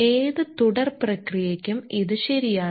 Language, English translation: Malayalam, This is true for any continuous operation